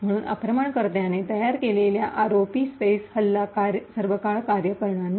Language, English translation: Marathi, Therefore, the ROP space attack, which the attacker has created will not work all the time